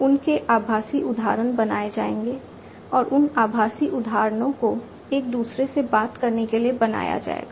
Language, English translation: Hindi, The virtual instances of them would be created and those virtual instances would be made to talk to one another